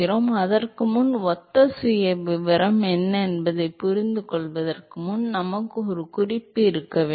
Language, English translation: Tamil, So, before that, before we even understand what is a similar profile, we need to have a reference, right